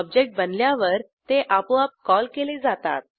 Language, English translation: Marathi, It is automatically called when an object is created